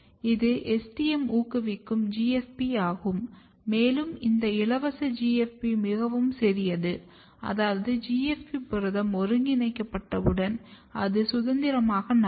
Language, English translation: Tamil, So, if you look this is STM promoter driving GFP, and this GFP is a very small GFP free GFP, which means that once GFP protein is made, synthesized, it can move freely